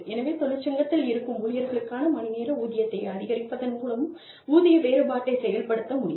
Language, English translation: Tamil, So, pay compression can also be effected by, increasing the hourly pay, for unionized employees